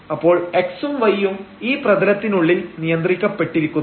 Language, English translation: Malayalam, So, x y’s are restricted only within this a domain here